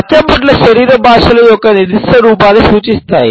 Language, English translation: Telugu, Tattoos represent a specific form of body language